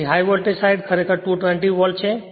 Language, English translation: Gujarati, So, high voltage side actually 220 volt